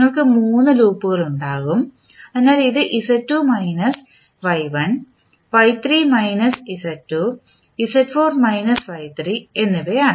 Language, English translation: Malayalam, So, there will be three loops which you will see, so this is Z2 minus Y1, Y3 minus Z2 and Z4 minus Y3